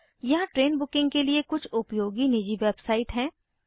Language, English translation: Hindi, There are some useful private website for train booking